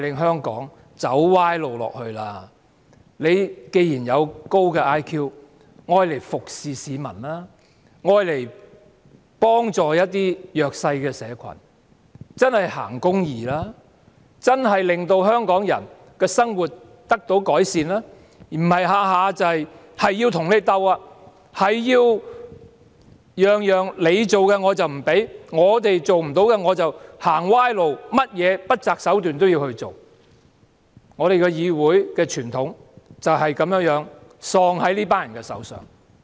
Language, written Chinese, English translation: Cantonese, 請局長利用他的高 IQ 服務市民，幫助弱勢社群，真正行公義，令香港人的生活得到改善，而不是每每要跟我們鬥，我們提出的建議統統不准許，政府做不到的便走歪路，即使不擇手段也要做，議會的傳統便是喪失在這群人的手上。, Would the Secretary please use his high IQ to serve the people help the vulnerable and truly pursue justice so that Hong Kong people can have a better life? . I hope that the Government will not fight with us on every matter and disapprove all our proposals . When it fails to push ahead its proposal it tries whatever means to do so